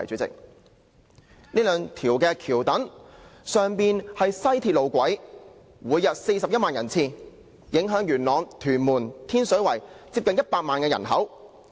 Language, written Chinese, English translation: Cantonese, 這兩條橋躉上面是西鐵路軌，每天有41萬人次經過，影響元朗、天水圍和屯門接近100萬人口。, On the two viaduct piers we will find the West Rail tracks on which 410 000 people are commuting on it every day . It will affect almost 1 million people living in Yuen Long Tin Shui Wai and Tuen Mun